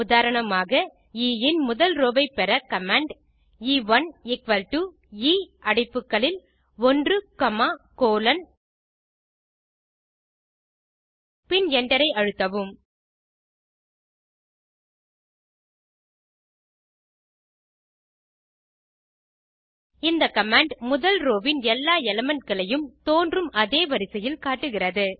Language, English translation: Tamil, For example, first row of E can be obtained using the following command: E1 = E into bracket 1 comma colon and press enter The command returns all the elements of the first row in the order of their appearance in the row